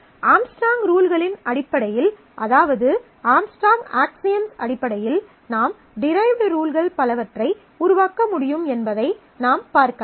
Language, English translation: Tamil, We can also observe that based on the rules of Armstrong, the Armstrong’s Axioms we can also generate lot of derived rules